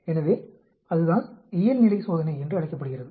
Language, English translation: Tamil, So, that is what is called the Normality test